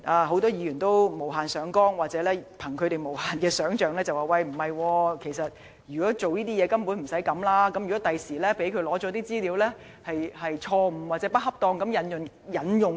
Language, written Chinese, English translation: Cantonese, 很多議員無限上綱或根據無限的想象力說，如果是為這用途的話，根本無需這樣做，又問如果律政司在取得資料後錯誤或不恰當地引用，應該怎麼辦。, Many Members have overplayed the matter or put too much imagination by saying that the request was downright unnecessary for that purpose . They went on to ask what would happen if DoJ used the information incorrectly or inappropriately